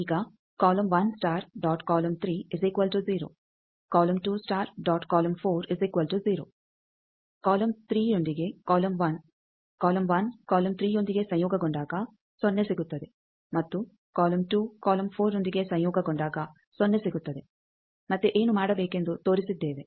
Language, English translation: Kannada, Now, column 1 with column 3 column 1 conjugate with column 3, 0 and column 2 conjugate with column 4, 0; again we have shown what to do